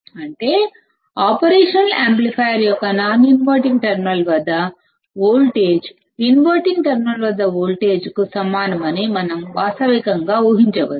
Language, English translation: Telugu, That means, that we can realistically assume that the voltage at the non inverting terminal of the operational amplifier is equal to the voltage at the inverting terminal